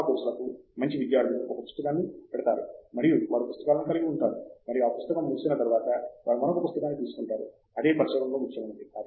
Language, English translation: Telugu, For most courses, good students have a notebook, and they have notebooks, and that notebook ends, they take another note book, that is very important in research